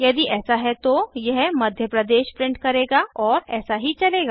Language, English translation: Hindi, If it is so, it will print out Madhya Pradesh and so on